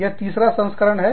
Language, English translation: Hindi, This is the third edition